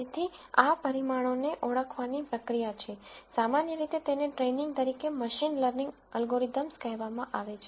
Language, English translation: Gujarati, So, the process of identifying these parameters is what is usually called in machine learning algorithms as training